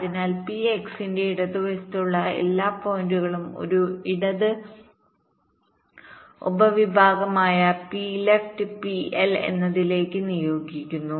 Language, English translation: Malayalam, so all points to the left of p x is assign to a left subset, p left, p l, all the points to right is assigned to p r